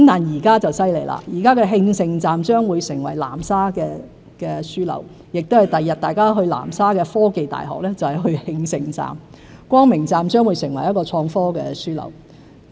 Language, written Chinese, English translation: Cantonese, 現在就很厲害了，慶盛站將會成為南沙的樞紐，將來大家前往南沙的科技大學，就是去慶盛站；光明城站亦將會成為一個創科樞紐。, Nowadays amazingly the Qingsheng Station will become the hub of Nansha where people heading for the Hong Kong University of Science and Technology Guangzhou in Nansha will converge . Meanwhile the Guangmingcheng Station will become an innovation and technology hub . Hong Kong must have a similar foresight in planning our infrastructure